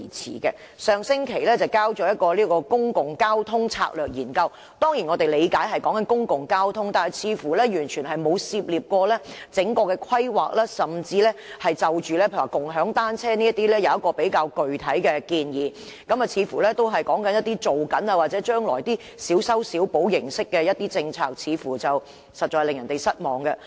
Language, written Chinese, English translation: Cantonese, 政府在上星期提交了《公共交通策略研究》，我們當然理解所談的是公共交通，但似乎完全沒有涉獵整個規劃，甚至沒有就共享單車等作出具體建議，似乎只是談及正在進行或將來小修小補形式的政策，實在令人失望。, The Public Transport Strategy Study was tabled by the Government last week . Although we understand that it is about public transport there seems to be no overall planning or concrete recommendations on bicycle - sharing . The study was disappointing as it seemed to focus only on patching up existing or future policies